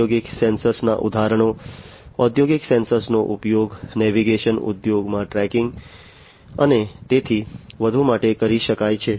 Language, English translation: Gujarati, So, examples of industrial sensors, industrial sensors can be used in the navigation industry, for tracking and so on